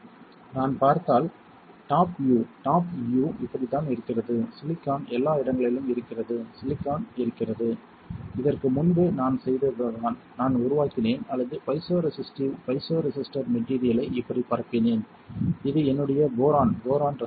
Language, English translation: Tamil, If I see, want to see the top view top view is like this, the silicon is there everywhere silicon is there and earlier what I did is I just created or I just diffused the piezo resistive piezo resistor material like this and this is my boron boron resistor